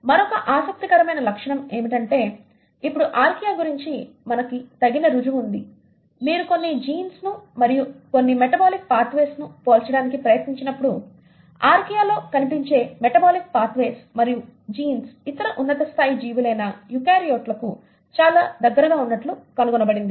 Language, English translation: Telugu, What is another interesting feature and we now have sufficient proof about Archaea, is that when you try to compare certain genes and certain metabolic pathways, the metabolic certain pathways and genes which are found in Archaea are found to be very close to the eukaryotes, the other higher end organisms